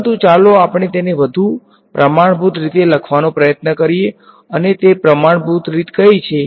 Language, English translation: Gujarati, But, let us try to write it in a more standard way and what is that standard way